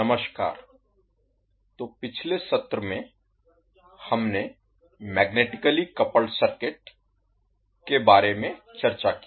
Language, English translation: Hindi, Namaskar, so in last session we discussed about the magnetically coupled circuit